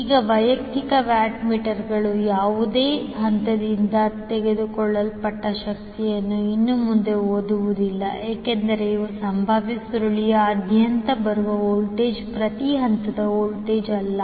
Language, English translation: Kannada, Now, although the individual watt meters no longer read power taken by any particular phase because these are the voltage which is coming across the potential coil is not the per phase voltage